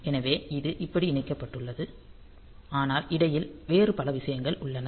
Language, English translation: Tamil, So, it is connected like this, but in between there are many other things